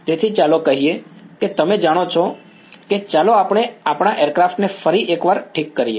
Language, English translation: Gujarati, So, let us say that you know this is let us just make our aircraft once again ok